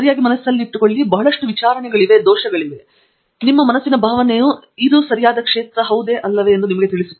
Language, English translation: Kannada, Right so keep that in mind there is a lot of trial and error; but your gut feeling will tell you whether this is a right area and this is a right advisor right